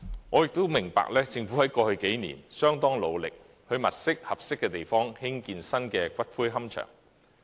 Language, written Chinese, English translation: Cantonese, 我也明白，政府在過去數年相當努力地物色合適的地方興建新的龕場。, I understand that the Government has over the years made arduous efforts to identify appropriate sites to build new columbaria